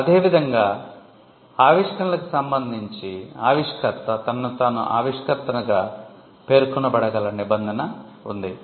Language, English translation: Telugu, So, similarly, with regard to inventions, you have a provision where the inventor can mention himself or herself as the inventor